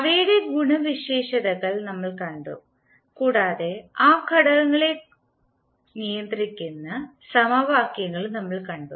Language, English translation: Malayalam, We saw their properties and we also saw the governing equations for those elements